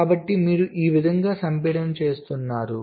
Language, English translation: Telugu, so this is how you are doing the compaction